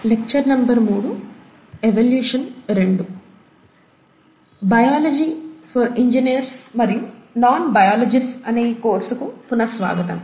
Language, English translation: Telugu, So welcome back to this course on “Biology for Engineers and Non biologists”